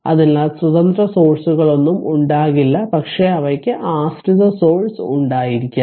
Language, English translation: Malayalam, So, source free circuits are free of independent sources, but they may have dependent sources